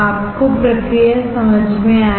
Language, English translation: Hindi, You got the process